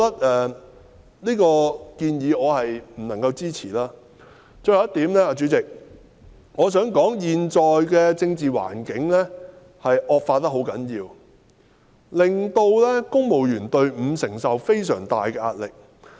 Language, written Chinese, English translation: Cantonese, 代理主席，我最後想提出的一點是，現在的政治環境惡化至極，令公務員隊伍承受非常大的壓力。, Deputy President the last point I wish to raise is that the current extreme deterioration of the political environment has put the civil service under tremendous pressure